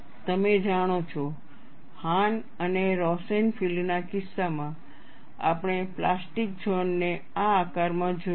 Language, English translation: Gujarati, You know, in the case of Hahn and Rosenfield, we have seen the plastic zone in this shape